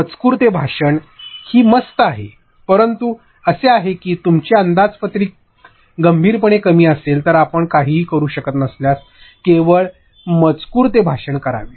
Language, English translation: Marathi, Text to speech is cool, but that is if your budget is seriously on the lower side, if you cannot do anything then only text to speech